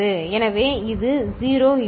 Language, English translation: Tamil, So, this is the 1 that will be there